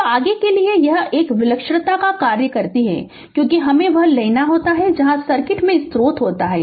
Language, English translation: Hindi, So, for right so next is that a singularity functions because, we have to take a now you are your what you call that where source is there in the circuit